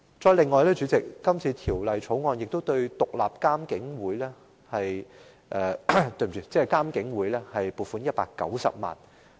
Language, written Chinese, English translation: Cantonese, 此外，主席，《條例草案》亦就獨立監察警方處理投訴委員會申請撥款190萬元。, Moreover President a provision of 1.9 million is also sought under the Bill for the Independent Police Complaints Council IPCC